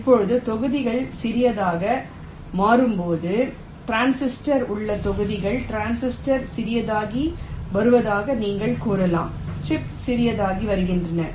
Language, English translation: Tamil, now, as the blocks becomes smaller and smaller, blocks in the transistor, you can say the transistor is becoming smaller, the chips are also becoming smaller